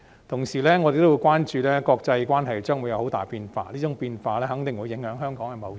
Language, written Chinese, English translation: Cantonese, 同時，我們也關注到國際關係將會有佷大的變化，這種變化肯定會影響香港的貿易。, Meanwhile we have also noted that there will be great changes in international relations and such changes will certainly affect Hong Kongs trade